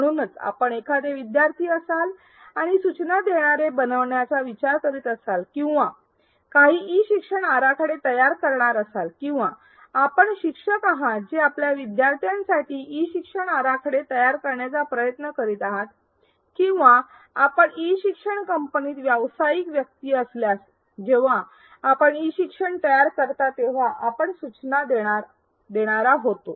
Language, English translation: Marathi, So, regardless of whether you are a student looking to become an instructional designer or design some e learning or whether you are a teacher who is trying to design e learning for your students or whether you are a professional ID in an e learning company, when you create e learning you will be an instructional designer